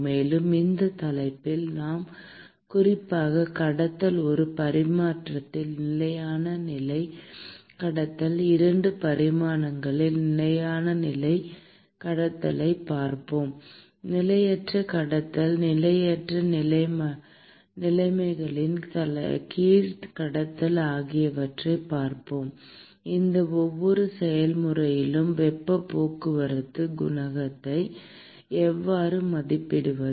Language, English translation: Tamil, And, in this topic we will specifically look at conduction steady state conduction in one dimension, we will look at steady state conduction in 2 dimensions, we will also look at transient conduction conduction under transient conditions; and how to estimate heat transport coefficient in each of these processes